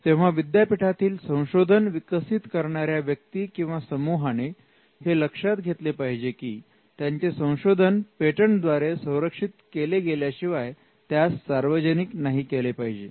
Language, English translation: Marathi, So, regardless of what a person or a team develops in the university, it is important that the invention is not disclosed until it is protected by filing a patent application